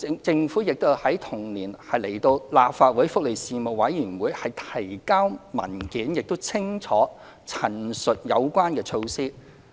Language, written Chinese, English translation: Cantonese, 政府亦在同年向立法會福利事務委員會提交文件，清楚陳述有關措施。, In the same year the Government presented papers to the Panel on Welfare Services of the Legislative Council to give a clear account of the relevant measures